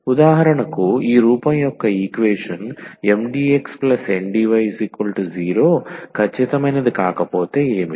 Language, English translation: Telugu, So, for instance; so, if an equation of this form Mdx, Ndy is not exact